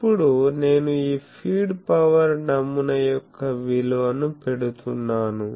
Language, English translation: Telugu, Now, I am putting the value of this feed power pattern